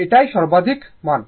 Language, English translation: Bengali, This is the maximum value